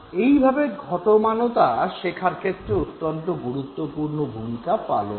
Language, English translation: Bengali, So, continuity plays an extremely important role in learning